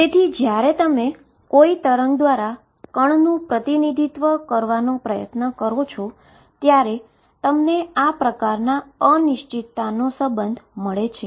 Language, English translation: Gujarati, So, the moment you try to represent a particle by a wave, you get this sort of uncertainty relationship